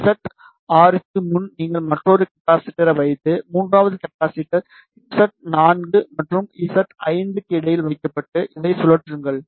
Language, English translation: Tamil, So, before Z6 you put another capacitor, and third capacitor is placed between Z 4 and Z 5 ok and rotate this ok